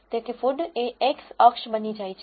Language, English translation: Gujarati, So, food becomes the x axis